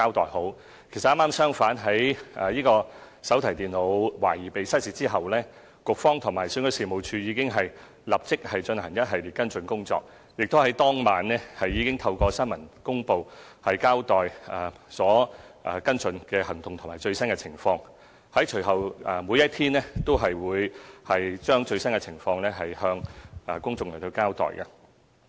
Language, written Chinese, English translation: Cantonese, 剛好相反，在手提電腦懷疑失竊後，局方和選舉事務處已經立即進行一系列跟進工作，在當晚亦已透過新聞公報交代跟進行動及最新情況，隨後每一天都將最新情況向公眾交代。, Quite the contrary after the suspected theft of the notebook computers the Bureau and REO have immediately taken up a series of follow - up work . Right in that evening press release was sent out to announce our follow - up actions and the latest development . Following that the public was updated on the status of the incident on a daily basis